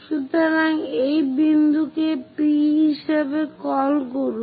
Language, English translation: Bengali, So, call this point as P